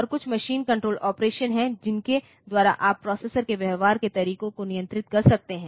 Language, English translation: Hindi, And there are some machine control operations by which you can control the way this the processor behaves